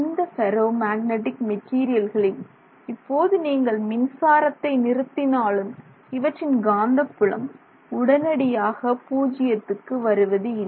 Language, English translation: Tamil, So, with the ferromagnetic material you cannot just switch off the current and expect it to drop to zero